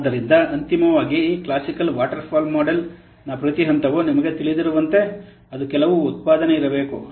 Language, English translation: Kannada, So, finally, as you know that every stage of this classical waterfall model, it contains some output should be there